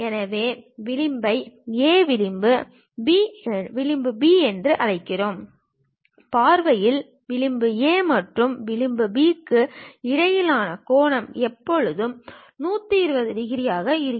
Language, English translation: Tamil, So, let us call edge A, edge B; the angle between edge A and edge B in the view always be 120 degrees